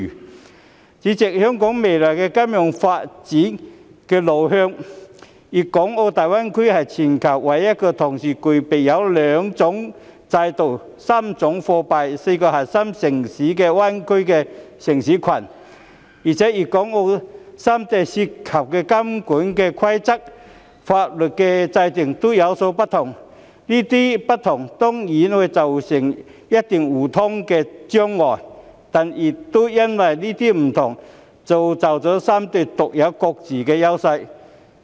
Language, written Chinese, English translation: Cantonese, 代理主席，就香港未來金融發展的路向，大灣區是全球唯一同時具備兩種制度、3種貨幣、4個核心城市的灣區城市群，而且粵港澳三地的監管規則和法律制度各有不同，當然會造成一些互通的障礙，但亦因為這些不同而造就出三地各自獨有的優勢。, Deputy President as regards the way forward of the future development of Hong Kongs financial industry GBA is the worlds only bay city cluster which has concurrently two systems three currencies and four core cities . Moreover given the mutually different regulations and legal systems amongst Guangdong Hong Kong and Macao it will certainly give rise to some obstacles in mutual access . Nevertheless it is also due to such differences that give rise to the unique advantages of the three places